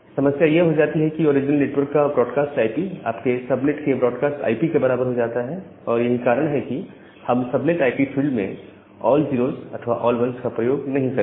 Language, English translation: Hindi, The problem becomes that the broadcast IP for the original network becomes equal to the broadcast IP of your subnet, so that is why we do not use the all zero’s and all one’s in a subnet IP field